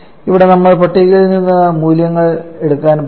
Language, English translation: Malayalam, Here we are going to take the values directly from the tables